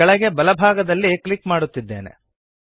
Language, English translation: Kannada, I am clicking to the bottom right